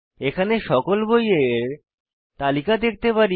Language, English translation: Bengali, This is how we display the list of books